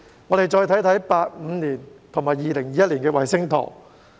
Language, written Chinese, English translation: Cantonese, 我們再看一看1985年和2021年的衞星圖。, Let us look at the satellite pictures of 1985 and 2021 again